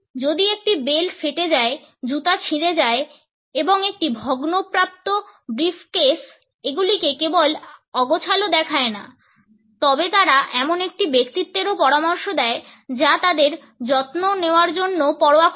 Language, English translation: Bengali, If belt which is frayed, shoes which are scuffed and a banded up briefcase not only look unkempt, but they also suggest a personality which is not bothered to look after them